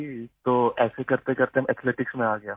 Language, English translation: Urdu, So gradually, I got into athletics